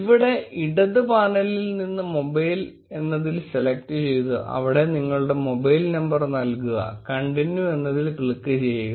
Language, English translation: Malayalam, From the left panel, select mobile and enter your mobile number, click continue